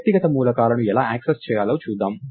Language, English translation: Telugu, So, lets see how to access the individual elements